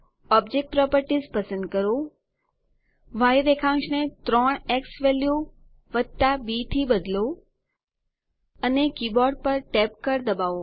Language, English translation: Gujarati, Select object properties change the y coordinates to 3 xValue + b, hit tab on the keyboard